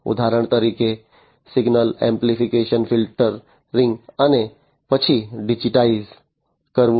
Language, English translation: Gujarati, For example, amplification filtering of the signals and so on and then digitize right